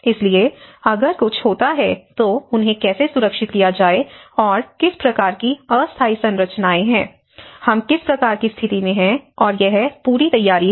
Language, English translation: Hindi, So, if something happens, how to safeguard them and what kind of temporary structures we have erect and what time it takes, this is all preparation